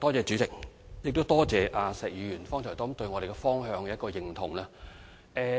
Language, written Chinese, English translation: Cantonese, 主席，多謝石議員剛才對我們的工作方向表示認同。, President I thank Mr SHEK for expressing his agreement to our approach